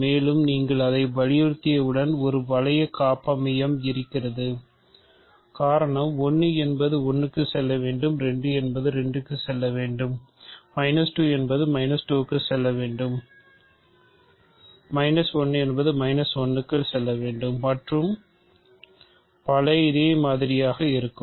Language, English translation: Tamil, And, once you insist on it there is exactly one ring homomorphism right because, once you know that 1 has to go to 1, 2 has to go to 2, minus 2 has to go to minus 2, minus 1 has to go to minus 1 and so on